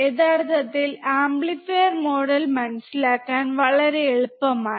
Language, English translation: Malayalam, Very easy to actually understand the amplifier model